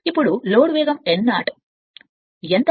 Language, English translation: Telugu, Now no load speed n 0 is how much right